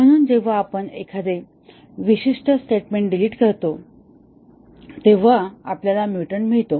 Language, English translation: Marathi, So, when we delete a specific statement, we get a mutant